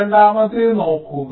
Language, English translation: Malayalam, second one, you see